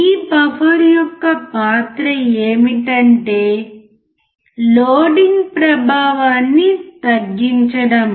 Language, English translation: Telugu, The role of this buffer is to reduce the loading effect